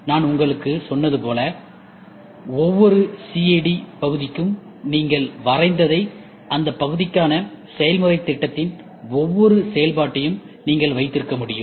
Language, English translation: Tamil, As I told you for every CAD part whatever you have drawn, you can have your every function of process plan for that part